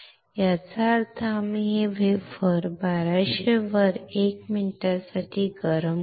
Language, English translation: Marathi, That means, we will heat this wafer on hot at 1200C for 1 minute